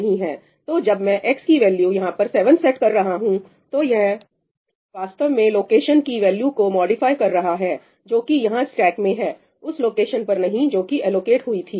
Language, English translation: Hindi, So, when I am setting the value of x equal to 7 over here, it is actually modifying the value of the location which is in the stack over here , not the location wherever this was allocated